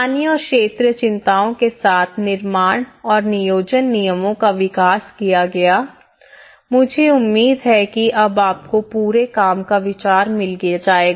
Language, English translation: Hindi, Development of building and planning regulations with local and regional concerns, I hope you have now got an idea of the whole work